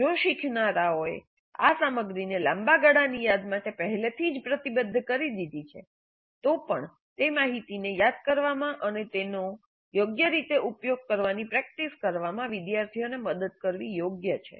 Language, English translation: Gujarati, So even if the learners have already committed this material to long term memory, it is worthwhile to help students practice recalling that information and using it appropriately